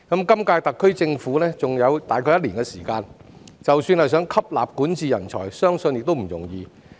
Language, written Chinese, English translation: Cantonese, 今屆特區政府的任期還有約一年的時間，即使想吸納管治人才，相信亦不容易。, With about one year left in the current term of the SAR Government it will not be easy to acquire talents in governance even if the Government so desires